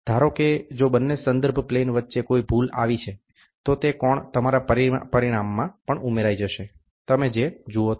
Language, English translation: Gujarati, Suppose, if there is error between the two reference planes, then that angle will also get added to your to your result, whatever you see